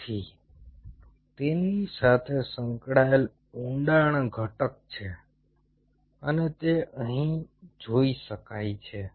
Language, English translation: Gujarati, ok, so there is a depth component associated with it and that could be seen here